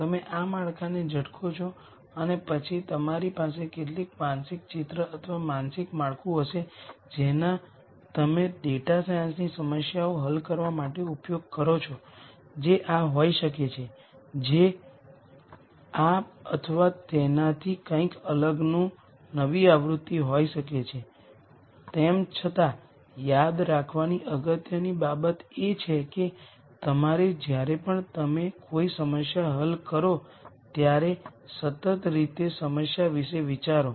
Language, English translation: Gujarati, You might tweak this framework and then you will have some mental picture or mental framework that you use to solve data science problems which could be this which could be a tweaked version of this or something di erent, nonetheless the important thing to remember is that you should think about the problem in a consistent way whenever you solve a problem